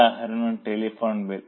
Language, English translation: Malayalam, Example is telephone bill